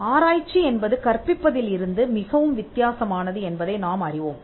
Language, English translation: Tamil, So, in research and we know that research is much different from teaching